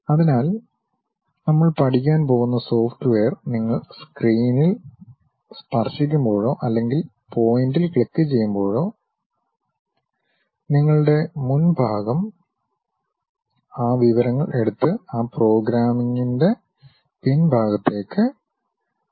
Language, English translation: Malayalam, So, the softwares what we are going to learn is when you are going to touch the screen or perhaps click the point, your front end takes that information and send it to your back end of that programming